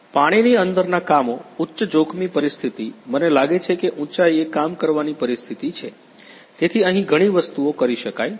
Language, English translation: Gujarati, Underwater works, high hazardous situation I think that situation in working at height right, so many things can be done here